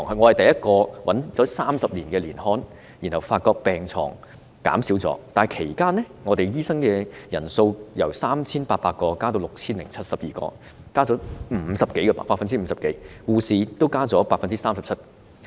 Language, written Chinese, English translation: Cantonese, 我找到30年前的年刊，發覺病床數目真的減少了，但其間醫生人數由 3,800 名增至 6,072 名，增幅超過 50%， 護士也增加了 37%。, It revealed that the number of beds has really decreased but the number of doctors has increased from 3 800 to 6 072 during the period an increase of more than 50 % and the number of nurses has increased by 37 %